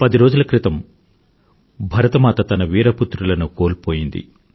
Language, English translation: Telugu, 10 days ago, Mother India had to bear the loss of many of her valiant sons